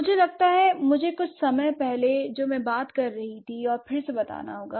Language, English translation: Hindi, I think I have to rephrase what I was talking about a while ago